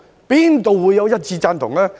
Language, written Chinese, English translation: Cantonese, 哪會有一致贊同？, How could there be unanimous support?